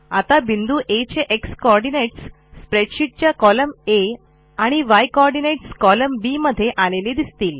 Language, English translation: Marathi, You can see that the x coordinate of point A is traced in column C of the spreadsheet and y coordinate of point A in column D